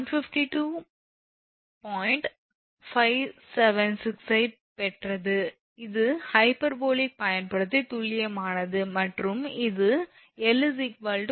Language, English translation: Tamil, 576 this is exact one using sin hyperbolic and this is approximate formula for l is, 152